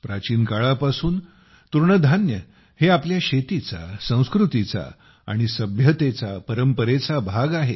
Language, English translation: Marathi, Millets, coarse grains, have been a part of our Agriculture, Culture and Civilization since ancient times